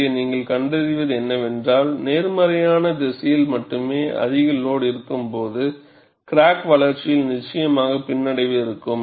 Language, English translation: Tamil, And, what you find here is, when there is overload only in the positive direction, there is definitely retardation in the crack growth